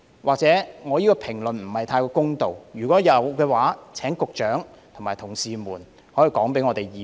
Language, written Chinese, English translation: Cantonese, 我這番評論或許不太公道，如果有的話，請局長及他的同事告訴議會。, My comment in this respect may be unfair in some way and if so I implore the Secretary and his colleagues to tell this Council